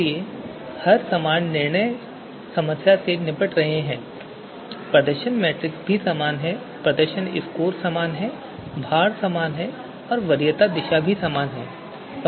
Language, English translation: Hindi, So we are tackling the same problem same decision problem, the performance matrix is also same right, performance scores are same all these details remain same, weights are same, preference direction is also same